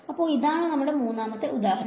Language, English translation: Malayalam, So, this is third example